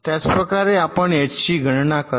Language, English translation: Marathi, similarly you compute h same way